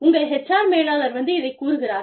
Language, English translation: Tamil, HR manager says this